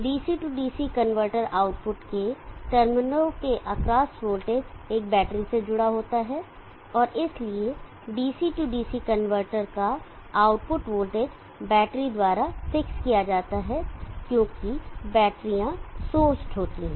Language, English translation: Hindi, The voltage across terminals of the Dc DC converter output is connected the battery and therefore the output of the DC DC converter the voltage is fixed by the battery, because the batteries are source